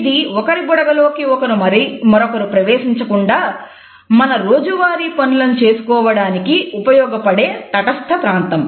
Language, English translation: Telugu, This is the buffer which allows us to continue our day to day functioning along with others without intruding into each other’s bubble